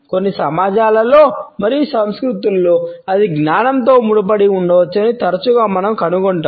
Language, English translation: Telugu, Often we find that in certain societies and cultures, it may be associated with wisdom